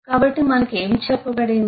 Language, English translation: Telugu, we have heard so what we were told